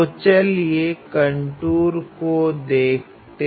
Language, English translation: Hindi, So, let us now look at the contour here